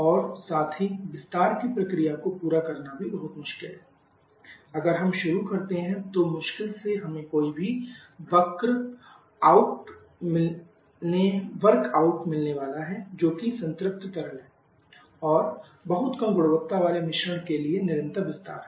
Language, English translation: Hindi, And also it is very difficult to have the expansion process hardly any work out be are going to get if we start is saturated liquid and continuous expand to a very low quality mixture